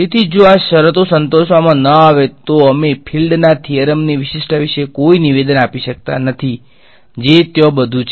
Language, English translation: Gujarati, So, if these conditions are not satisfied then we cannot make any statement about the uniqueness of the theorem of the fields that is all there is ok